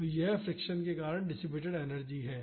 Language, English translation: Hindi, So, this is the energy dissipated due to friction